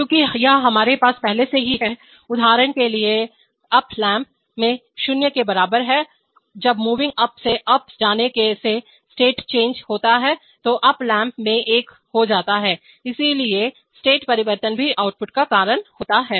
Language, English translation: Hindi, Because this we have already, for example in moving up lamp is equal to 0 when there is state change from moving up to up, up lamp becomes one, so state change is also cause outputs